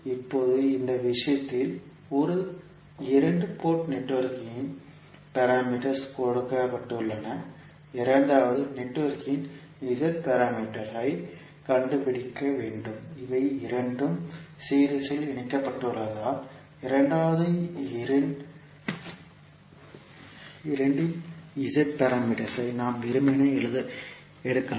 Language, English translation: Tamil, Now, in this case the figure the Z parameters of one two port network is given, the Z parameter of second network we need to find out, since these two are connected in series we can simply take the Z parameters of the second two port network because this is the second two port network you will see and we can sum up these two Z parameter matrices to get the Z parameter of the overall network